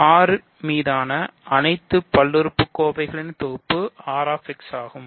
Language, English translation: Tamil, So, this is the set of all polynomials over R